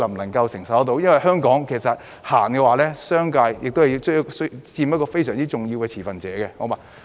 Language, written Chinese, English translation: Cantonese, 因為在香港，政府推行政策時，商界其實是非常重要的持份者。, It is because in Hong Kong the business sector is indeed a crucial stakeholder as far as the policy implementation by the Government is concerned